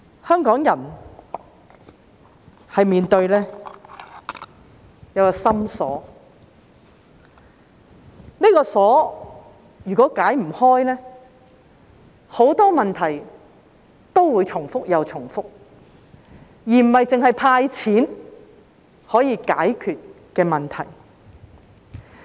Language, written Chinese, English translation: Cantonese, 香港人面對一個心鎖，這個鎖如果不能解開，很多問題都會重複又重複，並非單靠"派錢"便可以解決。, Hong Kong people have to deal with a lock in their heart . If this lock cannot be opened many problems will repeat themselves again and again . They cannot be resolved simply by handing out money